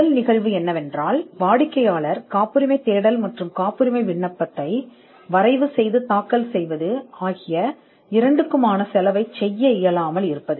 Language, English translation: Tamil, The first instance is when the client cannot afford both a patentability search, and the filing cost for filing and drafting a patent application